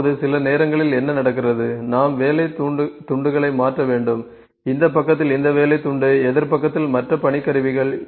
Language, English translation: Tamil, Now, what happens sometimes we have to swap the work pieces, this work piece on this side, this workpiece on this side, this workpiece on this side